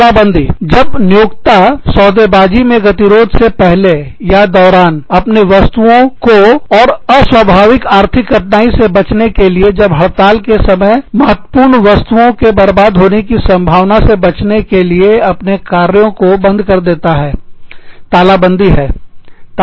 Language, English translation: Hindi, Lockout is, when the employer, shuts down its operations, before or during a bargaining impasse, to protect themselves, from unusual economic hardship, when the timing of a strike, may ruin critical materials